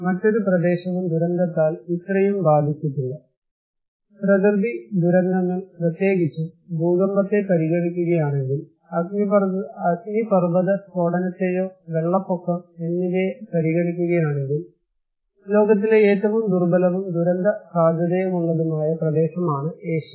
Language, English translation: Malayalam, No other region is that much affected by disaster; natural disasters particularly, well you consider earthquake, you consider volcanic eruption, flood; Asia is the most vulnerable, most disaster prone region in the world